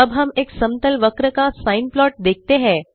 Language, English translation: Hindi, Now we see a sine plot with a smooth curve